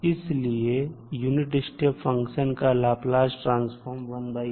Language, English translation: Hindi, So, for the unit step function the value of Laplace transform is given by 1 by s